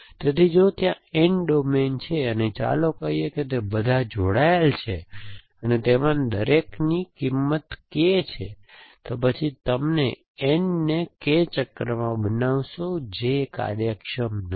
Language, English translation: Gujarati, So, if there are N domains, and let us say all of them are connected and each of them has K value, then you will make N into K cycles which is obliviously not in efficient things to do